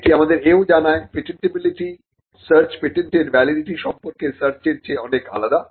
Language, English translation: Bengali, This also tells us a patentability search is much different from a inquiry into the validity of a patent